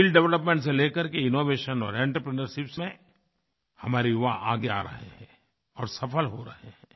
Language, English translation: Hindi, Our youth are coming forward in areas like skill development, innovation and entrepreneurship and are achieving success